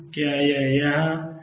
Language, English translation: Hindi, Is it here